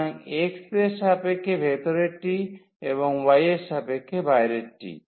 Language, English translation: Bengali, So, inner one with respect to x and the outer one with respect to y